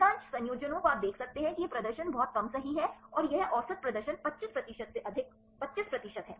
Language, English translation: Hindi, Most of the combinations you can see this is the performance is very less right and here this is the average performance more than 25 percent about 25 percent